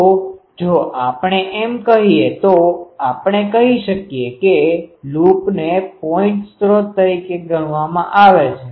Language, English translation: Gujarati, So, if we say this then we can say that the loop may be treated as a point source